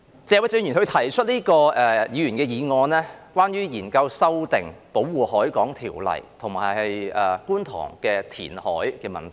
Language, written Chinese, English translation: Cantonese, 謝偉俊議員提出這項議員議案，是關於研究修訂《保護海港條例》及觀塘的填海問題。, This Members motion proposed by Mr Paul TSE is about examining the amendment of the Protection of the Harbour Ordinance and the reclamation works at Kwun Tong